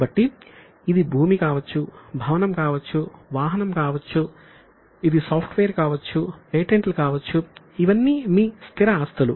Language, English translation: Telugu, So, it can be land, building, it can be vehicle, it can be software, it can be patents, these are all your fixed assets